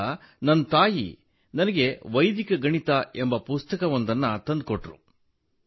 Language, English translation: Kannada, So, my mother brought me a book called Vedic Mathematics